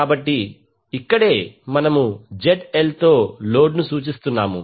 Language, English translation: Telugu, So, that is why here we are representing load with ZL